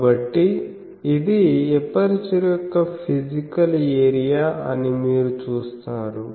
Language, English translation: Telugu, So, you see this is physical area of the aperture